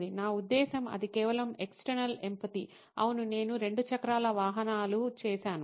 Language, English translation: Telugu, I mean that was just external empathy, yes I did ride a 2 wheeler